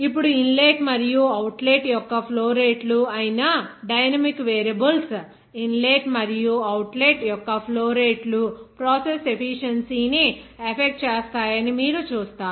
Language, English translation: Telugu, Now, dynamic variables, that are flow rates of the inlet and outlet, you will see that that flow rates of inlet and outlet, of course, will be influencing the process efficiency